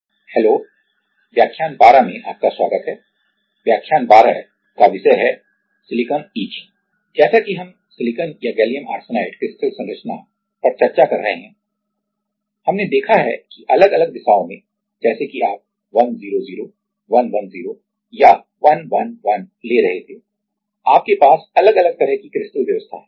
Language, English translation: Hindi, So, as we are discussing the crystal structure of silicon or gallium arsenide we have seen that and in different directions like whether you were taking 100 110 or 111 you have different kind of crystal arrangement